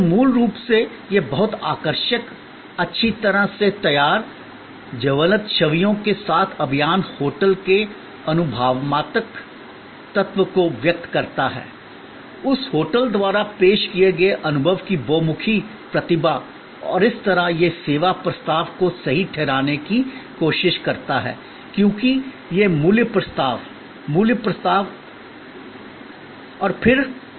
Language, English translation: Hindi, So, fundamentally this very attractive, well prepared, campaign with vivid images convey the experiential element of the hotel, the versatility of experience offered by that hotel and thereby it tries to justify the service proposition as versus it is value proposition, price proposition and so on